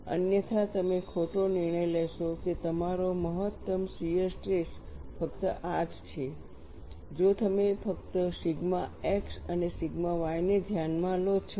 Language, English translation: Gujarati, Otherwise, you would make a wrong judgment that your maximum shear stress is only this, if you consider only sigma x and sigma y